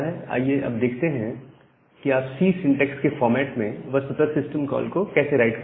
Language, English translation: Hindi, Now, let us look into that how you will actually write this system call in the format of a C syntax